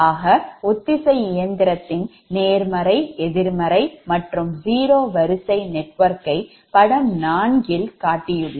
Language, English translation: Tamil, so positive, negative and zero sequence network of the synchronous machine is shown in figure four